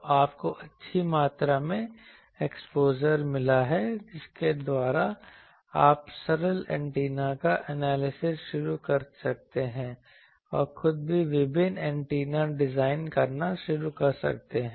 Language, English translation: Hindi, So, but you have got a good amount of exposure by which you can start analyzing the simple antennas and also yourself start designing various antennas